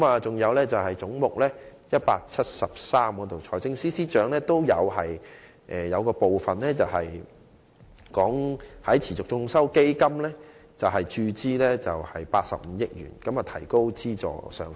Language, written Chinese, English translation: Cantonese, 至於總目 173， 財政司司長在預算案中建議向持續進修基金注資85億元，以提高資助上限。, Under head 173 the Financial Secretary suggested in the Budget that 8.5 billion be injected into the Continuing Education Fund with a view to raising the subsidy ceiling